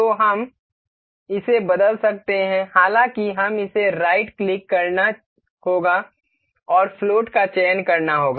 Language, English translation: Hindi, So, we can change this; however, we will have to right click this and select float